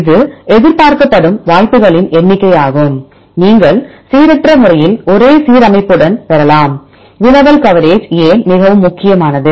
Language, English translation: Tamil, It is expected number of chances, right you randomly you can get with a same alignment, why the query coverage is very important